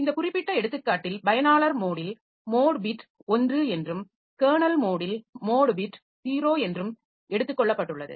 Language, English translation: Tamil, So, in this particular example it has been taken that for user mode, the mode bit is 1 and for kernel mode mode bit is 0